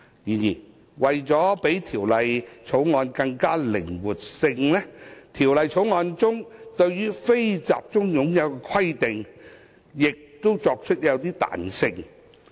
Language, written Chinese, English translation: Cantonese, 然而，為提升靈活性，《條例草案》對"非集中擁有"的規定亦作出一些彈性安排。, However to allow for more flexibility the Bill has also introduced some flexible arrangements regarding the NCH condition